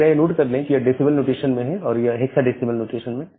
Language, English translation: Hindi, So, note that this is in the decimal notation and this is in the hexadecimal notation